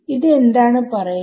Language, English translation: Malayalam, So, what is this saying